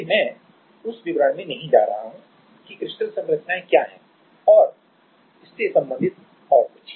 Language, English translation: Hindi, So, I am not going into that details that what are the crystal structures and all